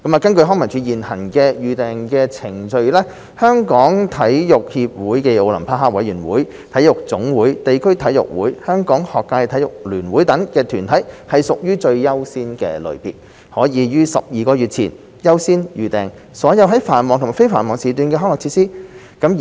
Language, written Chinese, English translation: Cantonese, 根據康文署現行的預訂程序，中國香港體育協會暨奧林匹克委員會、體育總會、地區體育會、香港學界體育聯會等團體屬最優先類別，可於12個月前優先預訂所有在繁忙及非繁忙時段的康樂設施。, According to the LCSDs current booking procedure the Sports Federation Olympic Committee of Hong Kong China NSAs district sports associations and the Hong Kong Schools Sports Federation are among the top priority category under which they are allowed to reserve all peak or non - peak slots of recreation and sports facilities up to 12 months in advance